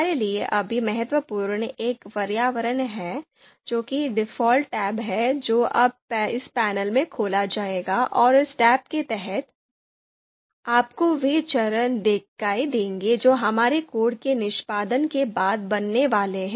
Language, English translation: Hindi, The important one for us right now is the environment, which is the default tab that would be opened in this panel, and under this tab, you would see the variables that are going to be created you know after our execution of the code